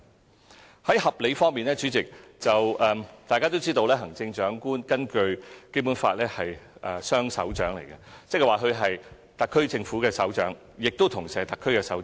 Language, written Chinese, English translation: Cantonese, 主席，在合理方面，大家都知道根據《基本法》，行政長官是雙首長，即他是特區政府的首長，亦同時是特區的首長。, In respect of being reasonable President it is known that the Chief Executive is a double chief that is he or she is both the head of SAR Government and of SAR